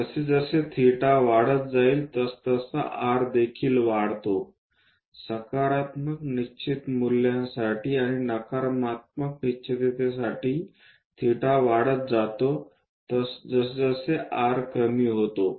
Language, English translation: Marathi, As theta increases, r also increases, for a positive definite a value and for a negative definite a value r decreases as theta increases